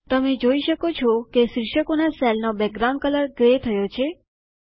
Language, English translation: Gujarati, You can see that the cell background for the headings turns grey